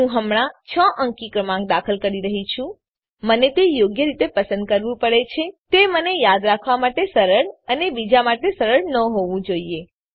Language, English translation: Gujarati, I am entering a 6 digit number now, I have to choose it properly, it should be easy for me to remember and not so easy for others